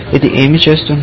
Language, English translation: Telugu, What will it do